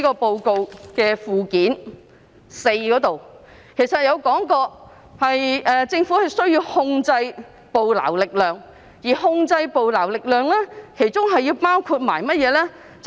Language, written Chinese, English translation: Cantonese, 報告的附件四其實還提到政府需要控制捕撈力量，而控制捕撈力量包括甚麼呢？, In fact Annex IV to the Report has also proposed that the Government control the fishing effort . What does such control include?